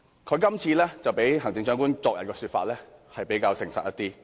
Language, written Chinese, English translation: Cantonese, 他的說法較行政長官昨天的說法，是比較誠實一點。, In a way his comment is more candid than the Chief Executives remarks yesterday